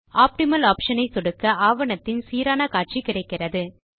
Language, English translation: Tamil, On clicking the Optimal option you get the most favorable view of the document